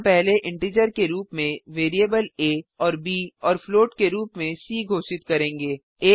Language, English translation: Hindi, We first declare variables a and b as integer and c as float